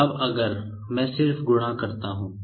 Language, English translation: Hindi, Now, if I just multiply